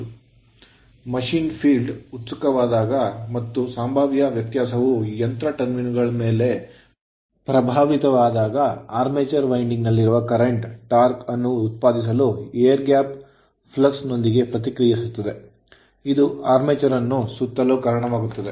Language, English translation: Kannada, Now, when the field of a machine is excited and they and the potential difference is impressed upon the machine terminals, the current in the armature winding reacts with air gap flux to produce a torque which tends to cause the armature to revolve right